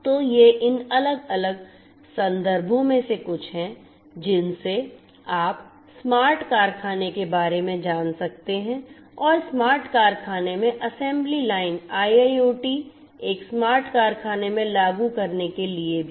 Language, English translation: Hindi, So, these are some of these different references that you could go through in this particular space of the smart factory and also the assembly line in the smart factory IIoT implementation in a smart factory and so on